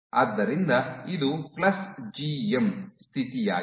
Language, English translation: Kannada, So, this is plus GM condition